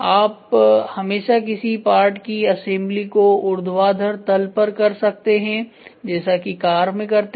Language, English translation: Hindi, For example, you can always do the assembly of a part in vertical face like what happens in a car